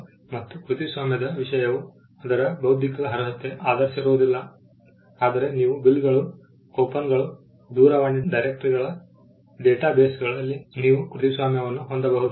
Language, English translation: Kannada, Again, the subject matter of copyright is not based on its intellectual merit; you can have a copyright on bills, coupons, telephone directories databases